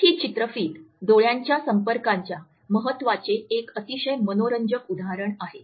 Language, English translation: Marathi, This video is a very interesting illustration of the significance of eye contact